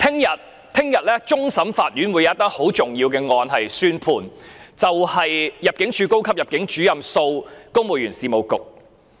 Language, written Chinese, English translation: Cantonese, 明天，終審法院會有一宗很重要的案件宣判，就是入境處高級入境主任訴公務員事務局。, Tomorrow the Court of Final Appeal will hand down a judgment in a very important case namely Senior Immigration Officer of the Immigration Department v Civil Service Bureau